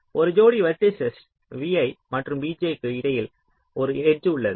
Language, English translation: Tamil, between a pair of vertices, v i and v j, there is an edge